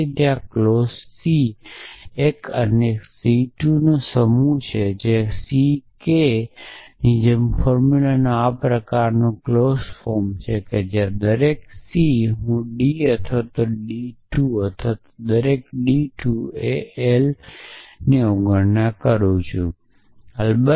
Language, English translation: Gujarati, Then there is a set of clauses c one and c 2 and c k such a form such a form of a formula is clause form when each c I is d one or d 2 or d r and each d I is equal to l I or negation of l I